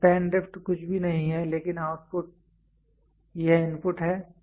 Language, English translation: Hindi, So, span drift is nothing, but output, this is input